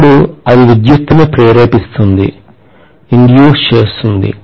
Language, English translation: Telugu, Then it will induce electricity